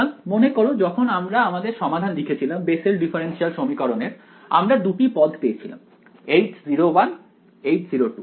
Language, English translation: Bengali, So, remember we had when we wrote our solution to the Bessel differential equation I got two terms H naught 1, H naught 2